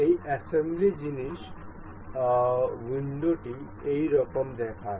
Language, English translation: Bengali, This assembly thing, the window looks like this